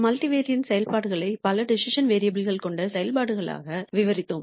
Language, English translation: Tamil, We described multivariate functions as functions with several decision variables